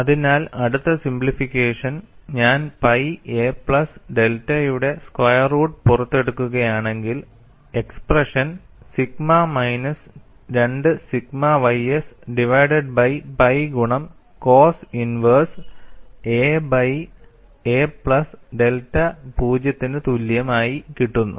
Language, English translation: Malayalam, So, the next simplification is, if I take out square root of pi a plus delta, the expression turns out to be sigma minus 2 sigma ys divided by pi multiplied by cos inverse a by a plus delta equal to 0